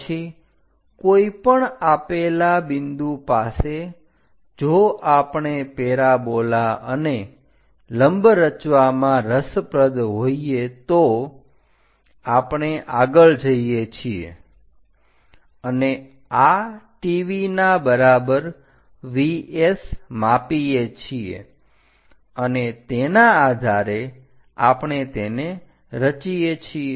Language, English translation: Gujarati, Then at any given point if we are interested in constructing parabola, tangent and normal, we went ahead measure this T V is equal to V S point and based on that we have constructed it